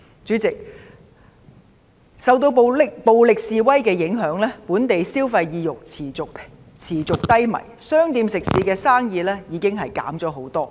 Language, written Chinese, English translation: Cantonese, 主席，受到暴力示威的影響，本地消費意欲持續低迷，店鋪食肆生意已大減。, President subjected to the impact of the violent protests consumer sentiments have remained weak locally and the business of shops and restaurants has dwindled